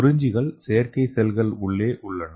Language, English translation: Tamil, And this is the cells in the artificial cells